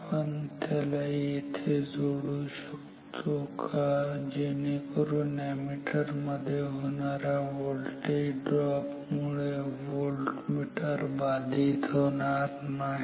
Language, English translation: Marathi, Can we connect it here so that the voltmeter is not affected by the voltage drop across the ammeter